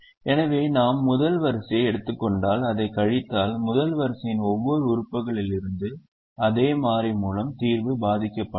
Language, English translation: Tamil, so if we take the first row and we realize that if we subtract the same constant from every element of the first row, the solution is not getting affected